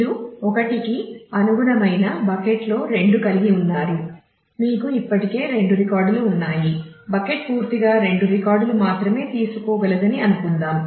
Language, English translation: Telugu, So, you had in bucket two corresponding to 1 you already have 2 records that bucket is full assuming that it can take only 2 records